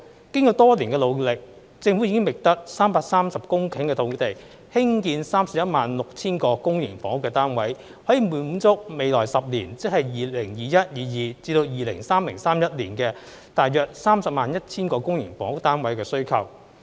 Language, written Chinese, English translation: Cantonese, 經過多年的努力，政府已覓得330公頃土地興建 316,000 個公營房屋單位，可以滿足未來10年大約 301,000 個公營房屋單位的需求。, After several years of efforts the Government has identified 330 hectares of land for the production of 316 000 public housing units which will be sufficient to meet the public housing supply target of about 301 000 public housing units for the 10 - year period that is from 2021 - 2022 to 2030 - 2031